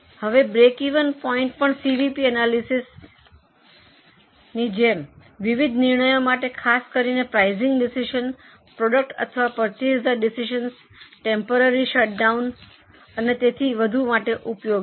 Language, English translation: Gujarati, Now, break even point is also useful just like CVP analysis for various decisions, particularly for pricing decisions, make or buy decision, temporary shutdown decision and so on